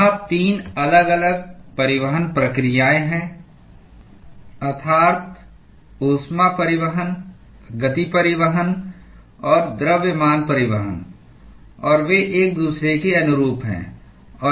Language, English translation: Hindi, There are 3 different transport processes, that is, heat transport, momentum transport and mass transport; and they are analogous to each other